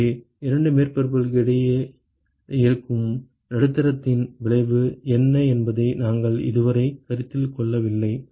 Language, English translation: Tamil, So, far we never considered what is the effect of medium that may be present between the 2 surfaces